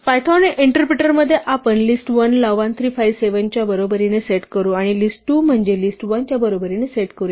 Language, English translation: Marathi, In the python interpreter let us set up list1 is equal to 1, 3, 5, 7 and say list2 is equal to list1